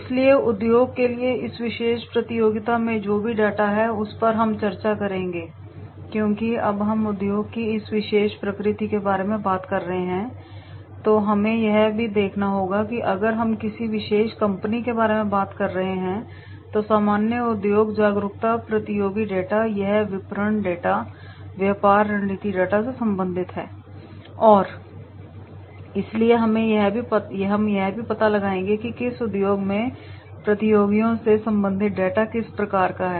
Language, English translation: Hindi, So stated industry, so whatever the data is there in this particular competition that we will discuss because when we are talking about a particular nature of industry then we have to also see that if we are talking about a particular company then, General industry awareness with the competitors data, it is related to the marketing data, business strategy data and therefore we will find out that is what type of data related to the competitors in the stated industry